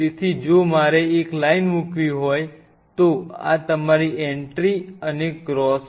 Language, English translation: Gujarati, So, if I have to like put one single line like this is your entry and cross